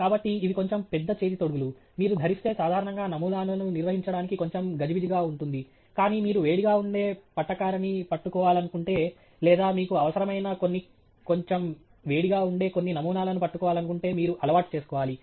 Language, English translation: Telugu, So, these are slightly large gloves, which if you wear are usually a little cumbersome to handle samples, but you have to get used to them if you are going to be holding tongs which are likely to be hot or some sample that you need to handle, some sample that is little hot, but these gloves are available, and this adds to the safety equipment in the lab